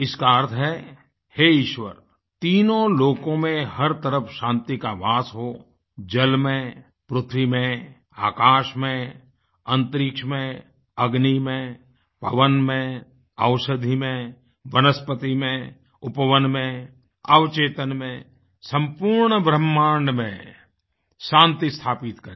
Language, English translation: Hindi, It means O, Lord, peace should prevail all around in all three "Lokas",in water, in air, in space, in fire, in wind, in medicines, in vegetation, in gardens, in sub conscious, in the whole creation